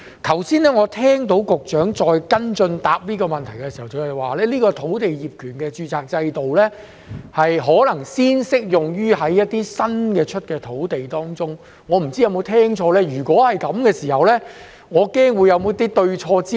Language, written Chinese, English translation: Cantonese, 我剛才聽到局長跟進回答這個問題時表示，業權註冊制度可能先適用於一些新批土地，我不知有否聽錯，如果是這樣，我恐怕他們是否對焦錯誤呢？, He says that the title registration system may first be applied to newly granted land . I do not know if I have heard it right . If I have I am afraid they have wrongly put the focus